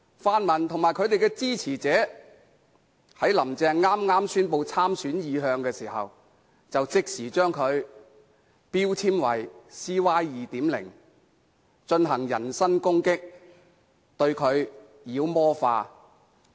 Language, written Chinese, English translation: Cantonese, 泛民與其支持者在"林鄭"剛宣布參選意向時，即時把她標籤為 "CY 2.0"， 進行人身攻擊，把她妖魔化。, The pan - democrats and their supporters immediately labelled Carrie LAM CY 2.0 when she announced her intention to run in the election and they made personal attacks and demonized her